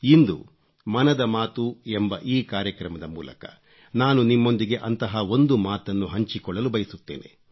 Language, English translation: Kannada, Today, in this episode of Mann Ki Baat, I want to share one such thing with you